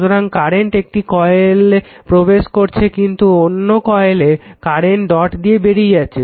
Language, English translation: Bengali, So, current entering in one coil, but other coil current leaves the dot